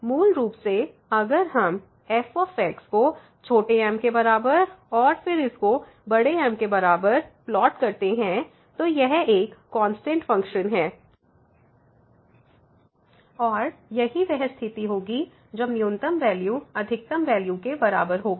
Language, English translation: Hindi, So, basically if we plot this it is a constant function and that would be the situation when the minimum value will be equal to the maximum value